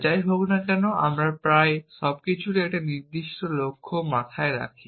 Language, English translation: Bengali, Anyway almost everything we do has a certain goal in mind